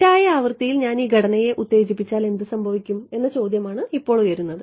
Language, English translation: Malayalam, Now the question lies what should I if I excite this structure with the wrong frequency what will happen